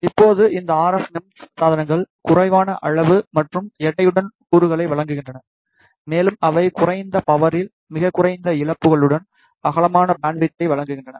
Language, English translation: Tamil, Now these RF MEMS devices provides the components with reduced size and weight they provide very low losses, with low power consumption over a wide bandwidth